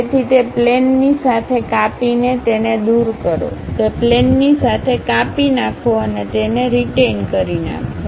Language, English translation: Gujarati, So, slice along that plane remove that, slice along that plane remove that and retain this one